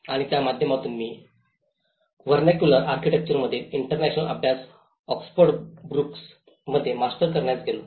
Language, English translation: Marathi, And through that, I went to master to do my Masters in Oxford Brookes on International Studies in Vernacular Architecture